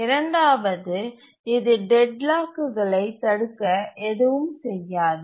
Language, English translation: Tamil, And then the second is it does nothing to prevent deadlocks